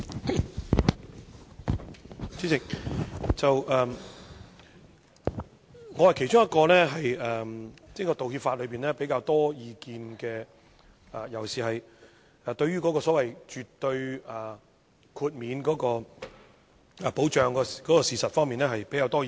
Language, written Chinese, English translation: Cantonese, 代理主席，我是其中一位對道歉法有比較多意見的人，尤其是對於所謂絕對豁免保障事實方面有比較多的意見。, Deputy President I am one of those who have relatively more comments on the apology legislation especially on the absolute immunity and protection in respect of statements of fact